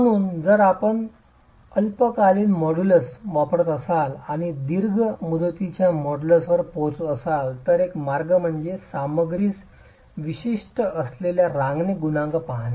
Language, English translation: Marathi, So if you were to use the short term modulus and arrive at the long term modulus one way is to look at the creep coefficient that is material specific